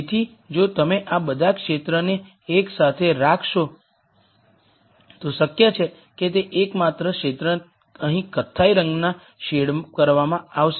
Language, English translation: Gujarati, So, if you put all of these regions together the only region which is feasible is shaded in brown colour here